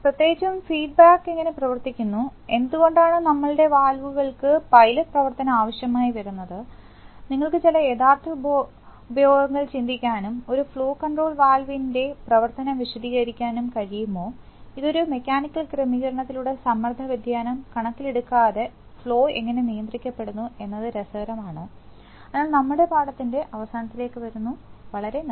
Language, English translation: Malayalam, Especially how the feedback come works, why our pilot operation of valves needed, can you think of some actual application and explain the operation of a flow control valve, that is interesting how the flow is controlled irrespective of pressure variation by a mechanical arrangement, so that brings us to the end of our lesson today thank you very much